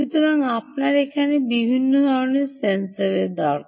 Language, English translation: Bengali, so you need a different type of sensor here